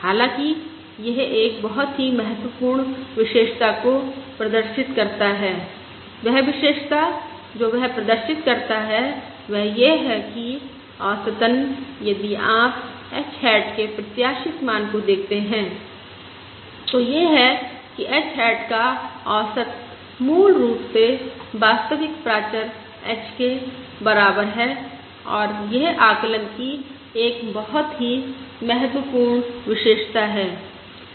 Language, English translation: Hindi, However, it exhibits a very important property and the property that it exhibits is that, on an average, that is, if you look at expected value of h hat that is, the average of h hat is basically equal to the true parameter h, and this is a very important property of the estimate